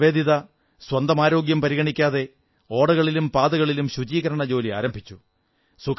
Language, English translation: Malayalam, Sister Nivedita, without caring for her health, started cleaning drains and roads